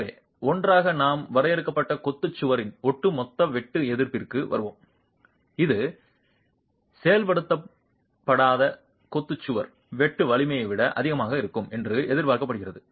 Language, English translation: Tamil, So, together we will arrive at the overall shear resistance of the confined masonry wall which is expected to be higher than the unreinforced masonry wall shear strength itself